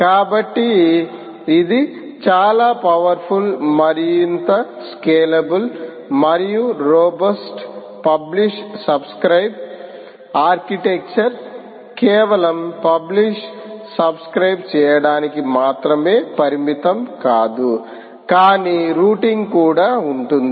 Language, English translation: Telugu, so its a much more powerful, much more scalable and robust publish subscribe architecture, not just limited to publish subscribe, but also about routing, which i mentioned to you, right